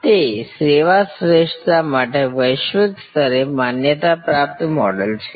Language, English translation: Gujarati, It is a globally recognized model for service excellence